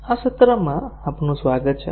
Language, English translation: Gujarati, Welcome to this session